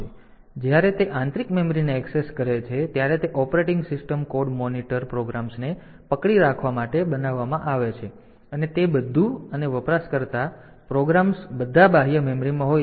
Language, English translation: Gujarati, So, the when it is accessing the internal memory, that is made to hold the operating system code monitor programs and all that and the user programs are all in the external memory